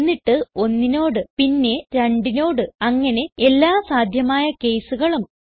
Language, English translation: Malayalam, Then with 1 then with 2 and so on with all the possible cases